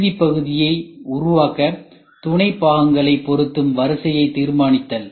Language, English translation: Tamil, Determine the order in which the sub assemblies are assembled to produce a final part